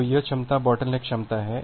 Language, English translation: Hindi, So, this capacity is the bottleneck capacity